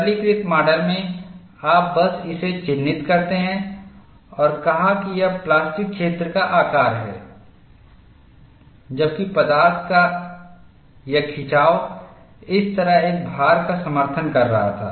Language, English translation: Hindi, The simplistic model, you simply mark this and set that, this is the size of the plastic zone whereas, this stretch of material was supporting a load like this